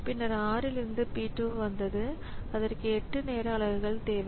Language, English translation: Tamil, Then from 6,, then came P2 and that requires 8 time units